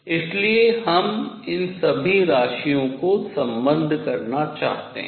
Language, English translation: Hindi, So, we want to relate all these quantities